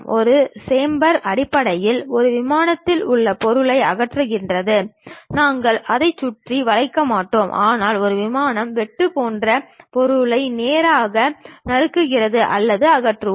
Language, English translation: Tamil, Chamfer is basically removing material on a plane, we do not round it off, but we straight away chop or remove that material like a plane, a cut